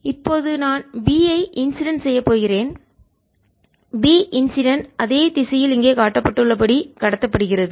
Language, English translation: Tamil, i am going to have b incident, b transmitted, as shown here, in the same direction as b incident